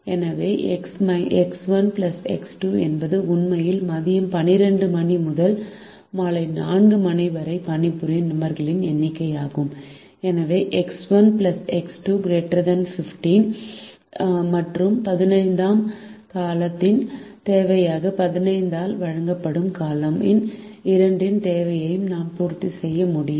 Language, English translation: Tamil, so x one plus x two are the number of people who actually work between twelve noon and four pm and therefore x one plus x two should be greater than or equal to fifteen and we should be able to meet the requirement of period two, which is given by fifteen, has the requirement